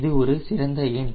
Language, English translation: Tamil, that's a good number